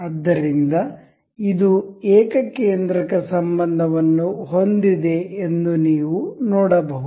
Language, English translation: Kannada, So, you can see this has a concentric relation